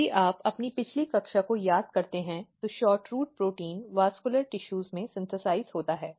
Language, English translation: Hindi, So, if you look here and if you recall your previous class what happens that this SHORTROOT protein is synthesized in the vascular tissues